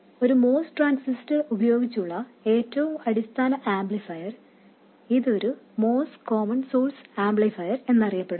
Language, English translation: Malayalam, This is the very basic amplifier using a moss transistor and it is known as a moss common source amplifier